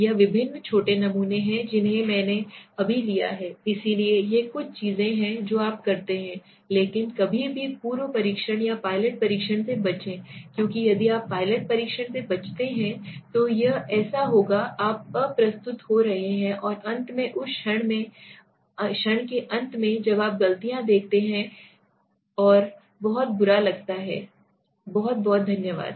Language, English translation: Hindi, It is various small samples I just taken right, so these are some of the things that you do but never avoid a pre testing or a pilot testing because if you avoid a pilot testing then it will be like you know something like you are going unprepared and finally at the end of the moment when the final stage is on where you see the mistakes and that looks high horrible and very bad, thank you so much